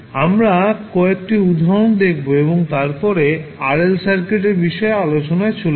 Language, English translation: Bengali, We will see some examples and then we will move onto rl circuit also